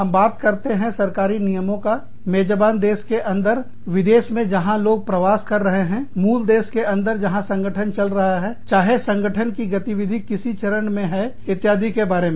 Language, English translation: Hindi, We are talking about, government regulations, within the host country, within the foreign country, that people are migrating, from within the parent country, where the organization is operating, whether which stage of operation, the organization is at, etcetera